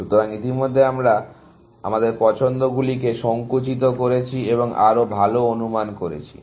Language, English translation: Bengali, So, already we have narrowed down our choices and made better estimates